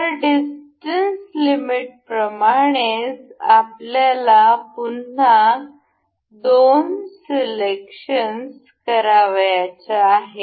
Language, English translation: Marathi, So, same as in distance limit, we have again the two selections to be made